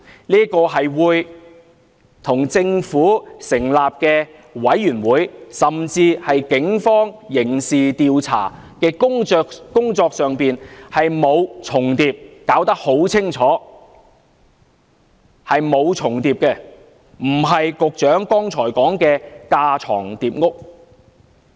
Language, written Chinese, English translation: Cantonese, 這並不會與政府成立的調查委員會，甚至警方刑事調查的工作重疊，很清楚並無重疊，不是局長剛才所說的架床疊屋。, There will be no overlapping with the functions of the Commission set up by the Government or even the criminal investigation undertaken by the Police . Just now the Secretary said that a select committee would be superfluous but it is crystal clear that there is actually no overlapping